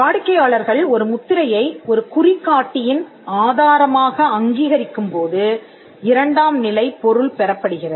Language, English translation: Tamil, Secondary meaning is acquired when the customers recognize a mark as a source of indicator